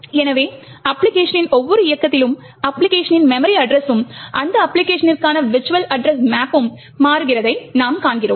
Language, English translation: Tamil, Thus we see that each run of the application thus we see with each run of the application, the memory address of the application, the virtual address map for that application is changing